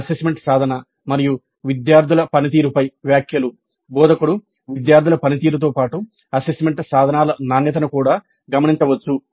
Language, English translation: Telugu, Comments on assessment instruments and student performance, the instructor herself can note down the performance of the students as well as the quality of the assessment instruments